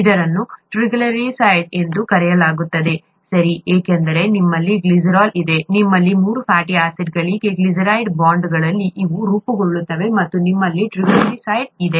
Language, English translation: Kannada, It is called a triglyceride, okay because you have you have glycerol, you have a glyceride bonds being formed here for three fatty acids and you have a triglyceride there